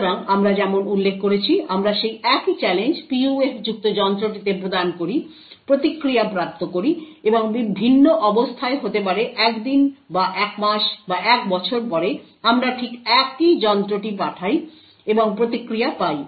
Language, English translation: Bengali, So, as we mentioned, we provide the same challenge to the device which is having the PUF, obtain the response and in a different condition maybe after a day or after a month or after a year, we send exactly the same device and obtain the response